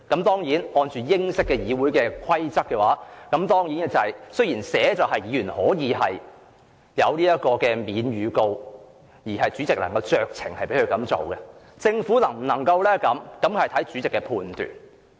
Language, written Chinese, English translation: Cantonese, 當然，按照英式議會規則，雖然議員可獲豁免預告而主席能酌情批准，但政府能否這樣做則視乎主席的判斷。, Admittedly if British parliamentary rules are followed the need for a Member to give notice may be dispensed with subject to the Presidents approval at his discretion but whether the Government can do the same depends on the Presidents judgment